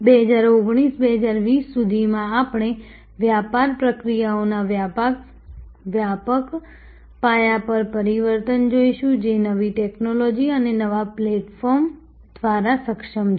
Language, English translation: Gujarati, By 2019, 2020 we will see a wide scale transformation of business processes, which are enabled by new technology and new platform